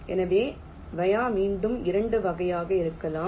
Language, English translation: Tamil, ok, so via again can be of two types